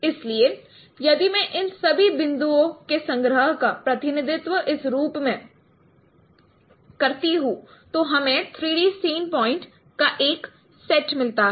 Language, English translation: Hindi, So if I consider a collection of all these points in this representation in this form then we get a set of 3D sync points